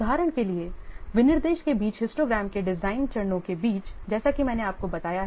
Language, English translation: Hindi, For example, between the specifications and the design phases of the histogram as I have already told you